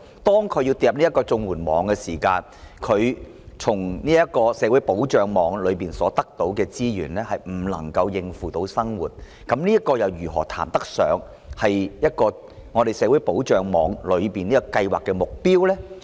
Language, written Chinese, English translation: Cantonese, 當他們墮入綜援網後，從這個社會保障的安全網中所得到的資源未能應付生活所需，那麼綜援如何能談得上達到社會保障的目標呢？, When they fall into the CSSA net and the resources they receive fail to cover their needs of living how can CSSA be regarded as having achieved the objective of social security?